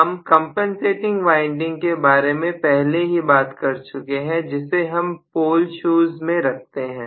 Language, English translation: Hindi, We already talked about compensating windings which will be put on, the pole shoes